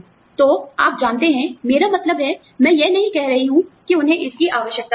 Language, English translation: Hindi, So, you know, I mean, I am not saying that, they do not need it